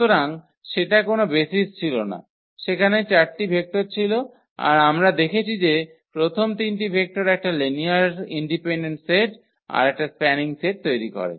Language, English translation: Bengali, Therefore, it was not a basis so, their vectors were 4 while we have seen that taking those 3 vector first 3 vectors that form a linearly independent set and also a spanning set